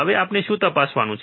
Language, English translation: Gujarati, Now, what we have to check